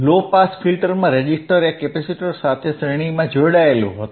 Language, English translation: Gujarati, In low pass filter, resistor and was series in capacitor, right